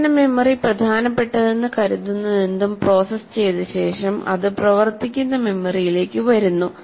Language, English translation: Malayalam, That means after it is processed out, whatever that is considered important, it comes to the working memory